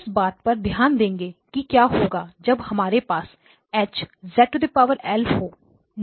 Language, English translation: Hindi, We focused in on what happens when you have H of Z power L